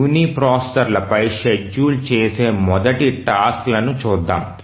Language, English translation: Telugu, Let's look at first task scheduling on uniprocessors